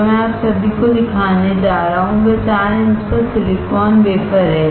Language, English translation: Hindi, What I am going to show you all is this 4 inch silicon wafer